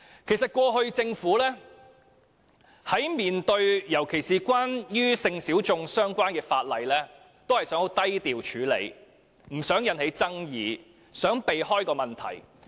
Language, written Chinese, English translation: Cantonese, 其實，政府過往尤其在面對與性小眾相關的法例時，只想低調處理，不想引起爭議，力圖迴避問題。, In fact in the past especially when facing legislation relating to sexual minorities it just wanted to proceed in a low profile without arousing any controversy trying to evade the question as far as possible